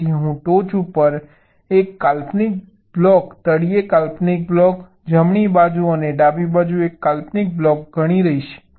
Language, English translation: Gujarati, so i shall consider an imaginary block on the top, an imaginary block on the bottom, one on the right and one on the left